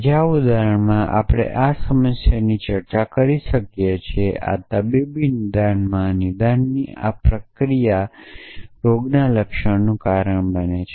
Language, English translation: Gujarati, In other example, that we might have discusses this problem this process of diagnosis in medical diagnosis a disease causes symptoms